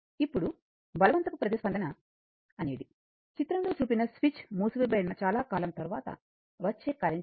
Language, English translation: Telugu, Now, forced response is the value of the current after a long time after the switch figure is closed, right